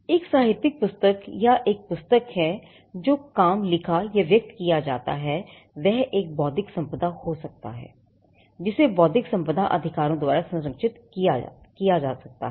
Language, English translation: Hindi, A literary work a book or the work that is written or expressed in words could be an intellectual property which can be protected by an intellectual property rights that is copyright